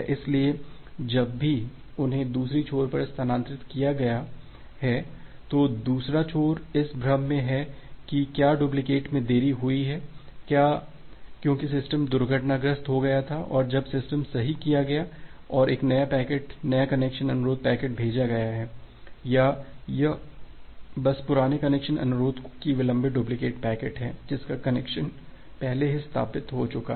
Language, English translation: Hindi, So, whenever those have been transferred to the other end, then the other end is in a confusion whether that delayed duplicate is just because the system has got crashed and now recovered and sent a new packet, new connection request packet or it is just delayed duplicate of the old connection request packet through which the connection has already been established